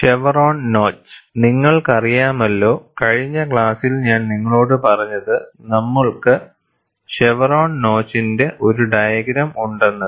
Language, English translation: Malayalam, You know, in the last class what I had told you was, we have a diagram of chevron notch